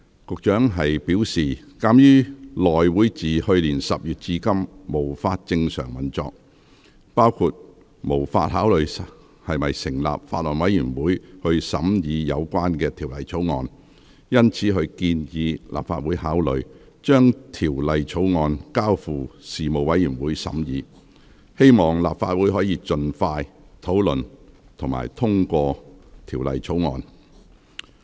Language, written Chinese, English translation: Cantonese, 局長表示，鑒於內會自去年10月至今無法正常運作，包括無法考慮是否成立法案委員會審議有關《條例草案》，因此他建議立法會考慮將《條例草案》交付事務委員會審議，希望立法會可盡快討論並通過《條例草案》。, The Secretary stated that in disruption of normal operation since October last year has rendered the House Committee unable among other things to consider whether a Bills Committee should be set up to scrutinize the Bill . Therefore he suggested the Legislative Council to consider referring the Bill to the Panel for scrutiny in the hope that the Bill can be considered and passed by the Council expeditiously